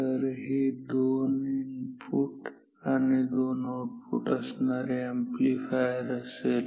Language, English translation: Marathi, So, this is a two input two output amplifier